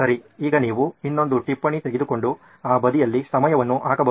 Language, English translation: Kannada, Okay, so now you can take another note and put a time on that side